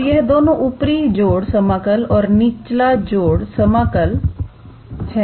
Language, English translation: Hindi, So, these two are the upper integral sum and lower integral sum